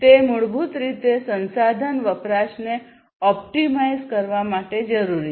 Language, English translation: Gujarati, So, it is required basically to optimize the resource consumption, right